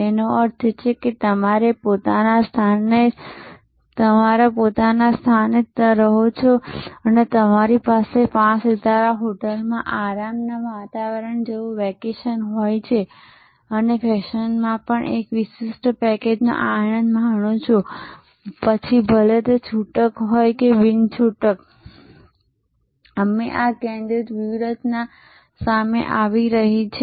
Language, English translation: Gujarati, That means, you stay at your own place and you have a vacation like relaxing environment in a five star hotel enjoying a special package also in fashion whether in retailing or etailing we are seeing this focused strategy coming up